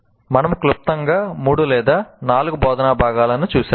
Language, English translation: Telugu, This is, we have seen briefly three or four instructional components